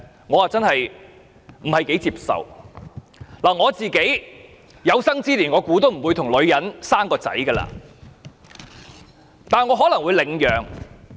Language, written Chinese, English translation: Cantonese, 我相信自己有生之年都不會與女性生兒育女，但我可能會領養。, While I believe I will not have a child with a woman in this life I may adopt a child